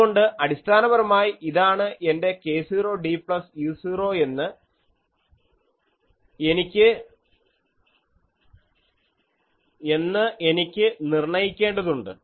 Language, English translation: Malayalam, So, basically I will have to locate that this is my k 0 d plus u 0, this is my let us say minus k 0 d plus u 0 ok